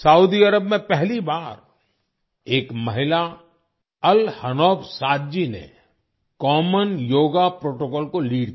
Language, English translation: Hindi, For the first time in Saudi Arabia, a woman, Al Hanouf Saad ji, led the common yoga protocol